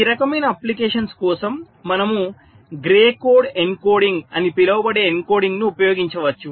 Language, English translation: Telugu, for these kind of applications we can use an encoding like something called gray code encoding